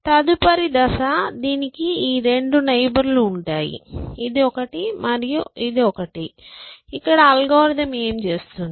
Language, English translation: Telugu, Next step, this will have these two neighbors, this one and this one, what will the algorithm do